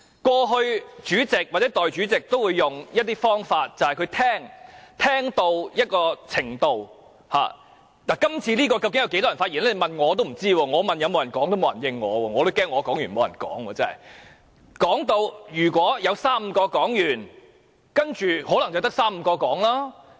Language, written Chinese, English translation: Cantonese, 過去，主席或代理主席都會用一種方法，就是聆聽——這次究竟有多少位議員想發言，我不知道，我問有沒有人想發言，沒有人理睬我，我也擔心我發言完畢後，沒有其他議員發言。, In the past the President or the Deputy President would adopt a listening approach―I have no idea how many Members want to speak . I asked whether there are Members who want to speak but no one responded to my question . I am also worried that after I have spoken no other Member will speak